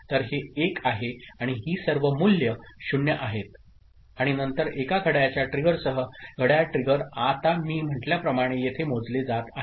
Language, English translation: Marathi, So, this is 1 and all these values are 0 and then with one clock trigger clock trigger is getting now counted here as I said